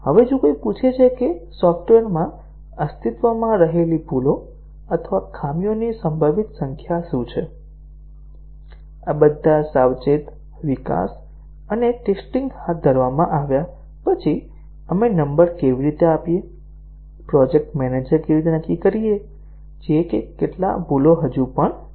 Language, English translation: Gujarati, Now, if somebody asks that what is the likely number of bugs or faults that are existing in the software, after all these careful development and testing has been carried out, how do we give a number, how does the project manager determine that how many bugs are still there